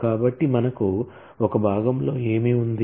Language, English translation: Telugu, So, what do we have in one part